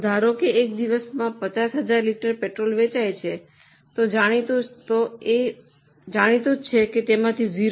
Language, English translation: Gujarati, So, suppose 50,000 litres of petrol is sold in a day, it is known that 0